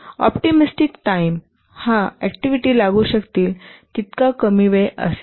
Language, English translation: Marathi, The optimistic time, this is the shortest possible time which the task the activity can take